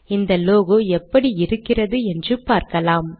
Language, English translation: Tamil, This logo, lets see what this looks like